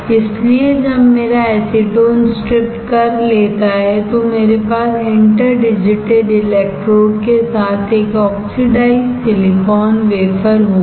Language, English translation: Hindi, So, when my acetone is stripped, I will have an oxidized silicon wafer with interdigitated electrons, right